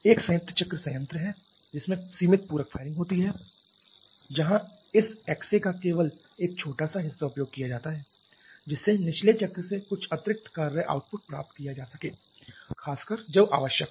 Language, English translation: Hindi, One is combined cycle plant with limited supplementary firing where only a small fraction of this X A is used just to boost some additional workout to boost to get some additional work output from the bottoming cycle